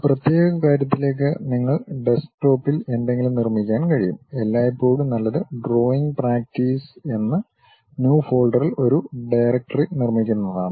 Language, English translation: Malayalam, To one particular thing perhaps you can construct something at Desktop, always preferable is constructing a directory in New Folder, Drawing practice